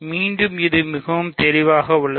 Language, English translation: Tamil, So, again, it is very clear